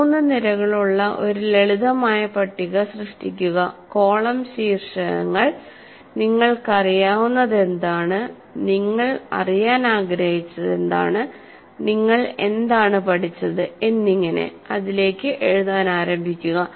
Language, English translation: Malayalam, You create a kind of a table with three columns where you write, what do I know, what I wanted to know, and what is it that I have learned